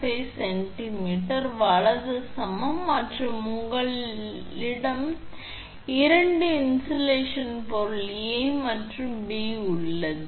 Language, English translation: Tamil, 5 centimeter right and you have two insulating material A and B